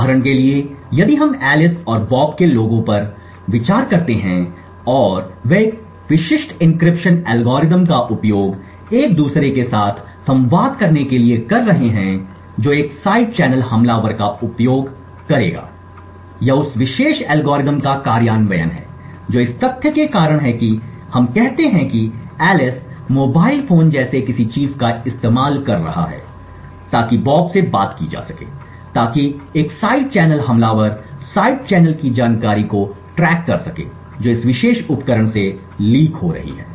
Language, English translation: Hindi, So for example if we consider to people Alice and Bob and they are using a specific encryption algorithm to communicate with each other what a side channel attacker would use is the implementation of that particular algorithm this is due to the fact that this is for example let us say that Alice is using a mobile phone like this to speak to bob so a side channel attacker would keep track of the side channel information that is leaking from this particular device